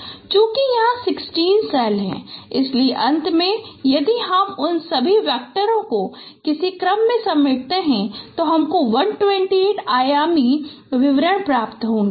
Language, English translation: Hindi, So since there are 16 cells, so finally if you concatenate all those vectors into some order that would give you 128 dimensional descriptor